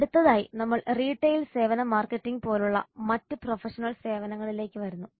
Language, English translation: Malayalam, Next we come to other professional services like retail services marketing